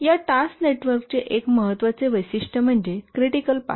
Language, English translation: Marathi, One important characteristic of this task network is the critical path